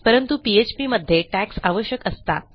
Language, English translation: Marathi, However, in PHP, you need the tags